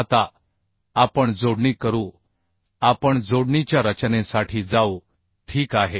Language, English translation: Marathi, Now we do the connections we go for the design of connection ok